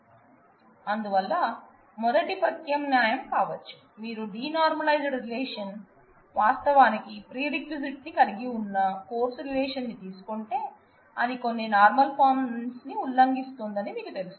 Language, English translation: Telugu, So, one option could be first alternative could be that, you use a denormalized relation, where the course prerequisite is actually included in the course and you know that will have you know violations of some of the normal forms